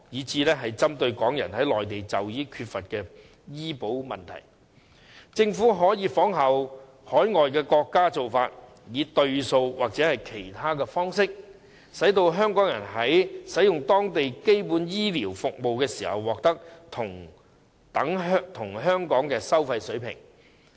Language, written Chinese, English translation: Cantonese, 至於針對港人在內地就醫缺乏醫療保障的問題，政府可以仿效海外國家的做法，以"對數"或其他方式，讓香港人在使用當地基本醫療服務時獲得等於香港的服務收費水平。, As for the lack of health care protection for Hong Kong people in need of medical treatment on the Mainland the Government may follow the example of overseas countries and adopt the on - par approach or other ways so that Hong Kong people may receive basic health care services in local communities at the same service charges as those in Hong Kong